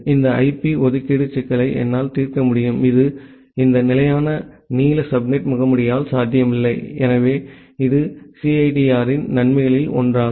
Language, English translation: Tamil, I will be able to solve this IP allocation problem, which was not possible with this fixed length subnet mask, so that is one of the advantage of CIDR